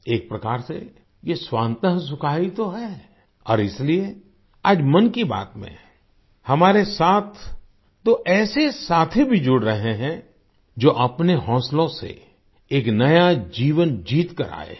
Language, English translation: Hindi, In a way, it is just 'Swant Sukhay', joy to one's own soul and that is why today in "Mann Ki Baat" two such friends are also joining us who have won a new life through their zeal